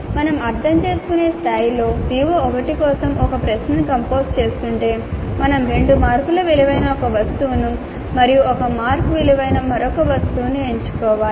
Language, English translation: Telugu, So if we are composing a question for CO1 at the understand level we need to pick up one item worth two marks and another item worth one mark